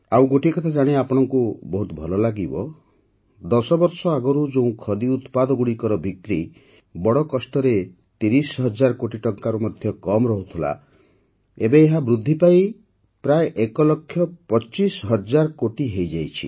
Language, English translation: Odia, You will be pleased to know of another fact that earlier in the country, whereas the sale of Khadi products could barely touch thirty thousand crore rupees; now this is rising to reach almost 1